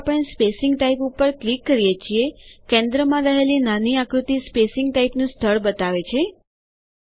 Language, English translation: Gujarati, As we click on each spacing type, the image in the centre shows the location of the spacing type